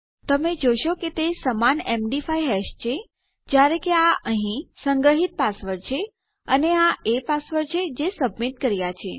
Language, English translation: Gujarati, You can see theyre exactly the same MD5 hash, however this here is the stored password and this is the password that weve submitted